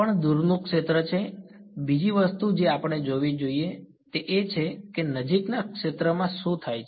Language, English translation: Gujarati, Also this is far field the other thing we should look at is what happens in the near field right